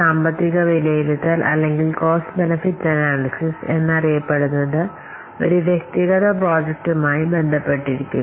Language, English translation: Malayalam, So, this financial assessment or which is popularly known as cost benefit analysis, this relates to an individual project